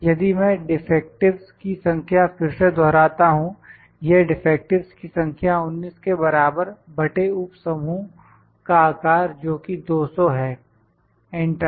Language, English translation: Hindi, If it I will repeat number of defectives this is equal to number of defectives is in 19 divided by the subgroup size that is 200 enter